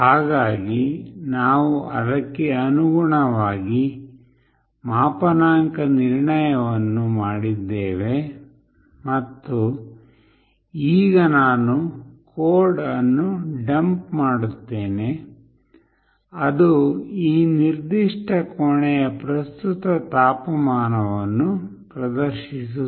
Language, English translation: Kannada, So, we have done the calibration accordingly and now I will be dumping the code, which will display the current temperature of this particular room